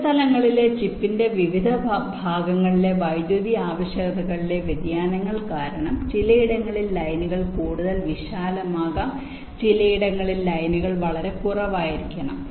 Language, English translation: Malayalam, not only that, because of variations in power requirements in different parts of the chip, in some places the lines may be wider